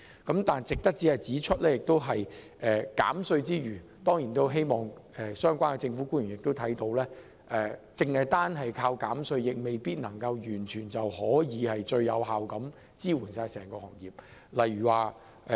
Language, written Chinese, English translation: Cantonese, 然而，同時值得指出的是，我們當然希望相關政府官員察覺到，單靠減稅未必能完全有效支援整個行業。, However meanwhile it is noteworthy that we certainly hope the government officials concerned will note that tax deduction alone may not be completely effective in supporting the entire industry